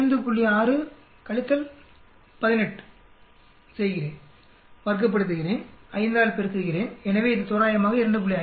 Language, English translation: Tamil, 6 minus 18, square it, multiply by 5, so this approximately so this approximately about 2